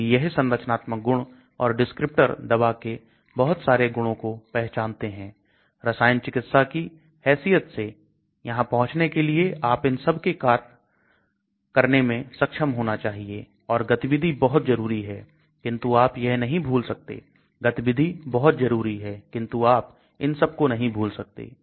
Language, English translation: Hindi, So these structural features or descriptors determine various properties of the drug so as a medicinal chemist you should be able to play with these to arrive at these and of course activity is the most important, but you cannot forget, activity is the most important, but you cannot forget all these